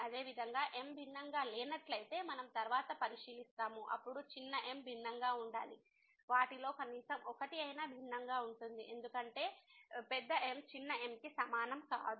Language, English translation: Telugu, Similarly we will consider later on if is not different then the small should be different at least one of them will be different because is not equal to small